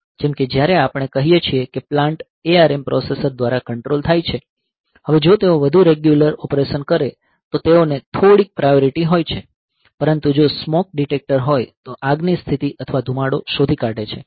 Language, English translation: Gujarati, Like when we have got say a plant being controlled by say the ARM processor, now if they further regular operation they have some priority, but if there is a smoke detector detects a fire situation or smoke is detected